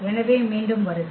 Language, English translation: Tamil, So, welcome back